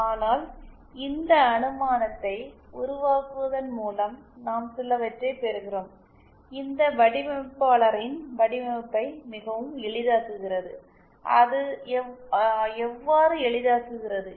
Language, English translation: Tamil, But then by making this assumption we get some very it makes our life of the designer much easier, how does it make it easier